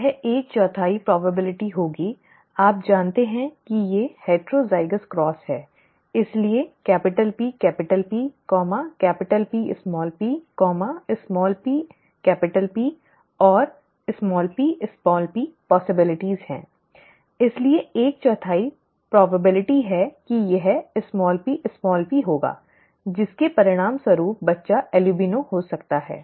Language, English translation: Hindi, It would be one fourth the probability you know these these are heterozygous cross, therefore capital P capital P, capital P small p, small p capital P and small p small p are the possibilities, therefore one fourth is the probability that it will be small p small p, result in the child being albino